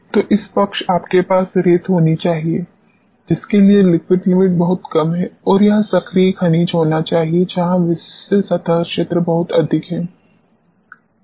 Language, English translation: Hindi, So, this side you must be having sands for which liquid limit is very less and this must be active minerals, where the specific surface area is extremely high